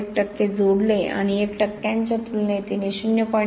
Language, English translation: Marathi, 1percent and she founded at the 0